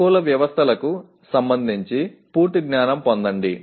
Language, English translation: Telugu, Get complete knowledge regarding adaptive systems